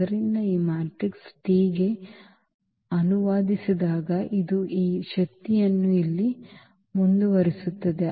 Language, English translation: Kannada, So, this will continue this power here on translating to this matrix T